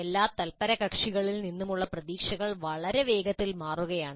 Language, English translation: Malayalam, The expectations from all the stakeholders are changing very rapidly